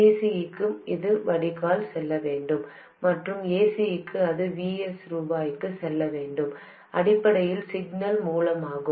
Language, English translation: Tamil, For DC, for DC, it should go to the drain and for AC, it must go to Vs R S, basically the signal source